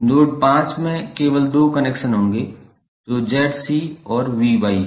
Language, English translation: Hindi, Node 5 will have only two connections that is Z C and V Y